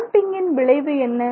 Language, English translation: Tamil, So, what is the purpose of damping